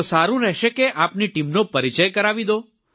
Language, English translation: Gujarati, Then it would be better if you introduce your team